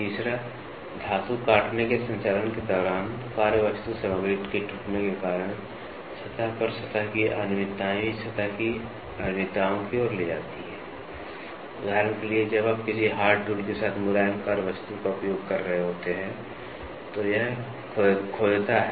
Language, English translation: Hindi, Surface irregularities on the surface due to rupture of workpiece material, during metal cutting operation also leads to surface irregularities, for example; you try to when you are using a soft workpiece with a hard tool, it digs